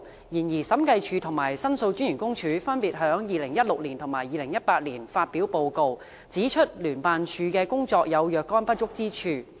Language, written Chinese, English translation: Cantonese, 然而，審計署及申訴專員公署分別於2016及2018年發表報告，指出聯辦處的工作有若干不足之處。, However the Audit Commission and the Office of The Ombudsman released reports in 2016 and 2018 respectively pointing out certain inadequacies in the work of JO